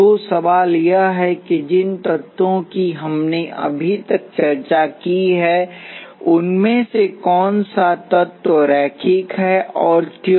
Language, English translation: Hindi, So, the question is which of the elements is linear among the elements we have discussed so far and why